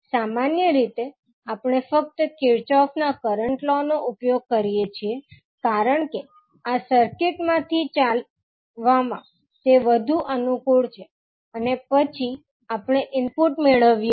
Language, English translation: Gujarati, Generally, we use only the Kirchhoff’s current law because it is more convenient in walking through this circuit and then we obtained the input